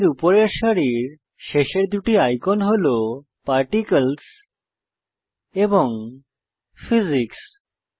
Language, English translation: Bengali, The last two icons at the top row of the Properties panel are Particles and Physics